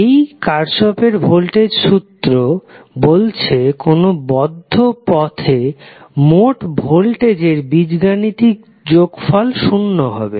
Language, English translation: Bengali, This Kirchhoff’s voltage law states that the algebraic sum of all the voltages around a particular closed loop would be 0